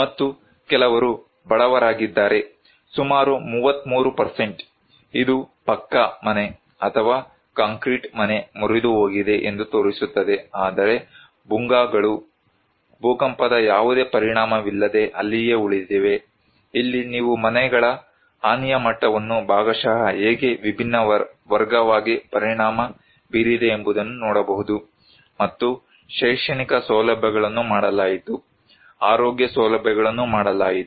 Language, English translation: Kannada, And some are poor, 33% around so, this showing that Pucca House or concrete house broken, but whereas, Bhugas remain there without any impact of earthquake, here you can see the damage level of the houses those partially how they was affected in different category and educational facilities were done, health facilities were done, panchayat